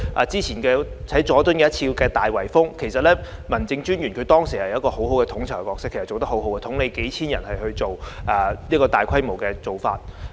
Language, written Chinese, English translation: Cantonese, 早前，佐敦進行了一次"大圍封"，其實民政專員當時做得很好，他擔任統籌角色，統領數千人執行該項大規模的工作。, The District Officer actually performed very well back then . Playing the role of coordinator he led a few thousand people to carry out that large - scale operation